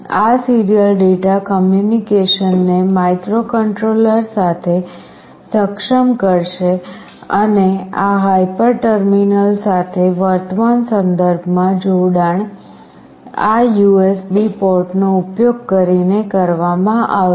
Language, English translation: Gujarati, This will enable the serial data communication with the microcontroller and this hyper terminal connection in the present context shall be made using this USB port